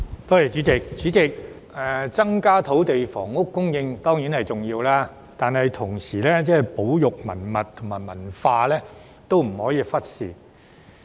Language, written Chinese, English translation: Cantonese, 代理主席，增加土地房屋供應當然重要，但同時亦不能忽視保育文物和文化。, Deputy President whilst it is certainly important to increase the supply of land and housing we must not ignore the conservation of cultural relics and culture at the same time